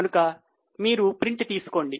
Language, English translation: Telugu, So, please take a printout